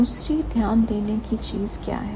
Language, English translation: Hindi, Second, what is the second thing to notice